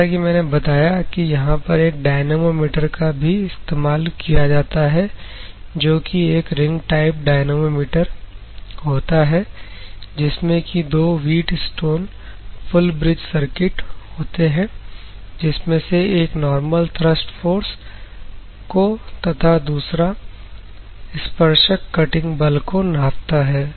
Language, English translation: Hindi, So, as I said dynamometer also used here; the dynamometer is a ring type dynamometer two wheatstone full bridge circuit one measuring the normal thrust force and another one measure the tangential cutting force